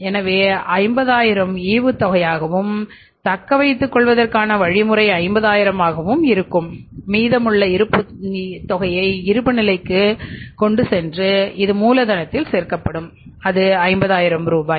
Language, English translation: Tamil, This will be the dividend 50,000 will be dividend and two retained earnings will be the remaining will go to the balance sheet will be added in the capital and that is 50,000 rupees